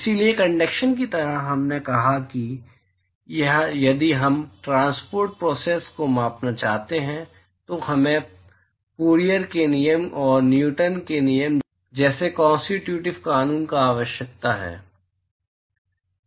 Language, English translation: Hindi, So, just like in conduction, we said that, if we want to quantify the transport process, we need constitutive law, like Fourier’s law and Newton's law